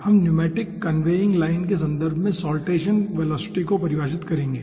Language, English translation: Hindi, we will be defining saltation velocity in the context of pneumatic conveying line